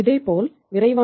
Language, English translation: Tamil, Similarly, the case was with the quick ratio 1